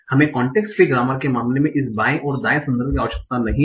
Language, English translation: Hindi, We do not need this left and right context in the case of context free grammars